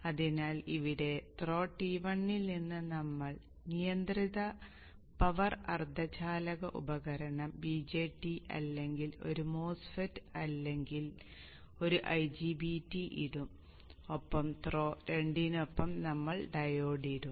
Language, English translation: Malayalam, So here at the throw T1 we will put the controlled power semiconductor device VJT or a MOSFET or 90 BT and along through 2 we will put the dive